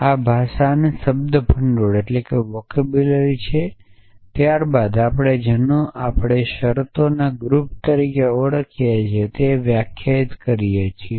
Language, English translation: Gujarati, So, this is the vocabulary of the language then we define what we call as the family of terms sometime we call and set of terms